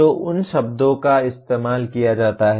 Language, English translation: Hindi, So those are the words used